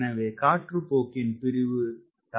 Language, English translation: Tamil, so flow separation will be delayed